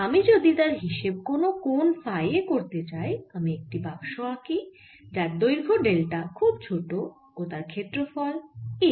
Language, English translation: Bengali, if i want to find it at some angle phi, let me take a box here of very small length, delta, an area a